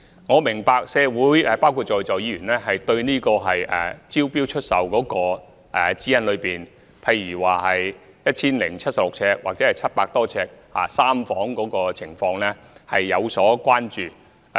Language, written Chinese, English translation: Cantonese, 我明白社會——包括在座議員——對招標出售的指引，例如 1,076 平方呎或700多平方呎的3房單位的情況有所關注。, We understand that the community―including Members seated here―is concerned about the guidelines on sale by way of tender for example the issue of three - bedroom units that are 1 076 sq ft or about 700 sq ft in floor area